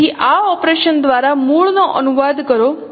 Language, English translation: Gujarati, So translate the origin by this by this operation